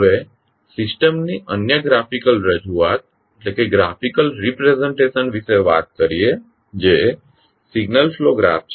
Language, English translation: Gujarati, Now, let us talk about another the graphical representation of the system that is Signal Flow Graph